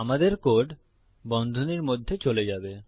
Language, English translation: Bengali, Our code will go in between the brackets